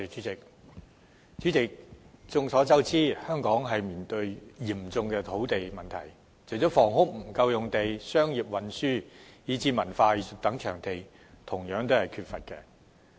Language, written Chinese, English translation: Cantonese, 代理主席，眾所周知，香港正面對嚴峻的土地問題，除沒有足夠建屋用地外，也缺乏土地作商業、運輸以至文化藝術等用途。, Deputy President we all know that Hong Kong is facing critical land issues right now . Apart from the inadequacy of housing sites we are also in lack of land supply for commercial transport as well as cultural and arts uses